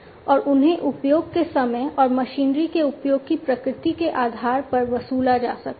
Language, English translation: Hindi, And they can be charged with the you know charged based on the time of usage, and the nature of usage of the machinery